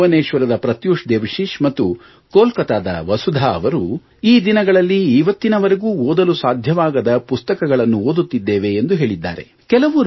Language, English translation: Kannada, Pratyush of Bhubaneswar and Vasudha of Kolkata have mentioned that they are reading books that they had hitherto not been able to read